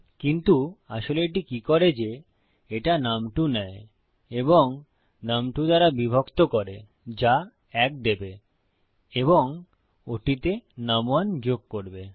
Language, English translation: Bengali, But actually what this does is it takes num2 and divides it by num2 which will give 1 and add num1 to that